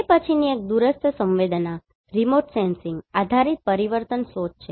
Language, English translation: Gujarati, Then next one is remote sensing based change detection